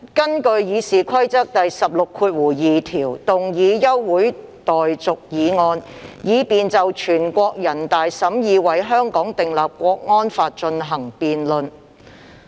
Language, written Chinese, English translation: Cantonese, 我根據《議事規則》第162條要求動議休會待續議案，以便就全國人民代表大會審議為香港訂立國安法進行辯論。, In accordance with Rule 162 of the Rules of Procedure RoP I propose moving a motion for the adjournment of this Council to debate the deliberation of the National Peoples Congress NPC to enact a national security law in Hong Kong